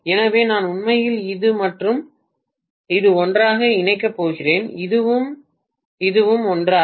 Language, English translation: Tamil, So I am going to connect actually this and this together, this and this together